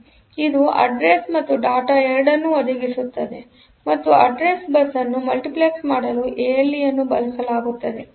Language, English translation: Kannada, So, it provides port provides both address and data and ALE is used for de multiplexing the address bus